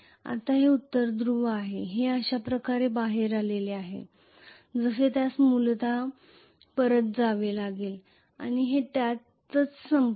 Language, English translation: Marathi, Now this is North Pole this has come out like this it has to go back essentially and it will end up in this